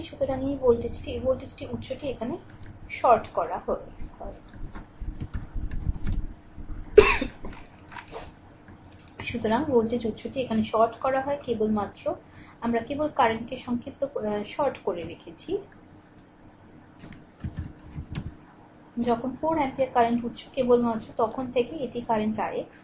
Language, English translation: Bengali, So, voltage source is shorted here we have shorted only current, when 4 ampere current source is only there at that time this is the current i x dash right